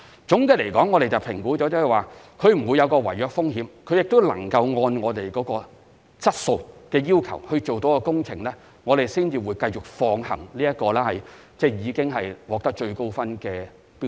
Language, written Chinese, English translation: Cantonese, 總的來說，我們會評估投標者會否有違約風險，並能按我們的質素要求完成工程，然後才會繼續考慮已獲最高評分的標書。, In general before giving further consideration to accepting a tender with the highest overall score assessment will be made to determine if there is a risk of contract default on the part of a bidder and examine the bidders capability to meet our quality requirements and complete the works